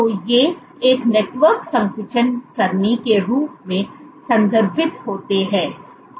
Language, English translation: Hindi, So, these are referred to as a network contraction array